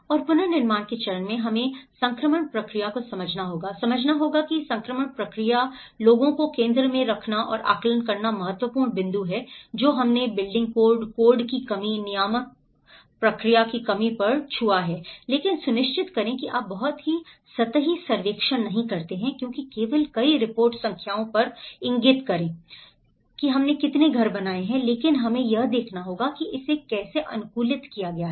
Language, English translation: Hindi, And in the reconstruction phase we have to understand the transition process, understand the transition process, putting people in the centre and assessments there are important points which we touched upon the building codes, lack of codes, lack of the regulatory process but make sure that you donít do a very superficial survey because many of the reports only point on the numbers, how many houses we have built but we have to see how it has been adapted